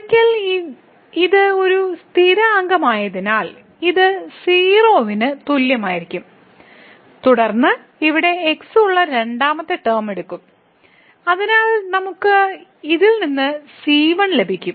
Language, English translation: Malayalam, So, once we this is a constant so this will be equal to 0 and then we take the second term which will be having here there so we will get the out of this